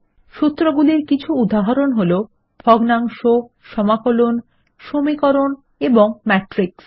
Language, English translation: Bengali, Some examples of formulae are fractions, integrals, equations and matrices